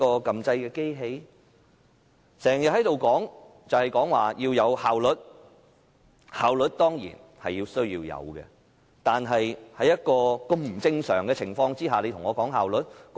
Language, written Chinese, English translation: Cantonese, 他們經常在這裏說要有效率，效率當然需要，但是在如此不正常的情況下，說效率？, They often talk about efficiency here . Efficiency is certainly necessary but they talk about efficiency under such abnormal circumstances?